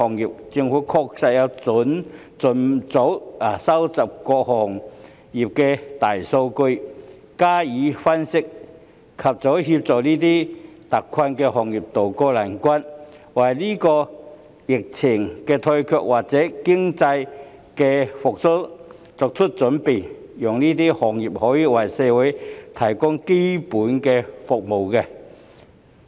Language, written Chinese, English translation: Cantonese, 依我之見，政府確須盡早收集各個行業的大數據，加以分析，以盡早協助這些特困行業渡過難關，並為本地疫情退卻及經濟復蘇早作準備，讓這些行業繼續為社會提供基本所需的服務。, In my opinion it is indeed necessary for the Government to expeditiously collect and analyse the big data of various industries so as to help these industries tide over their difficulties as soon as possible and make early preparations for the remission of the epidemic and the economic recovery in Hong Kong thus enabling these industries to continue to provide basic services to society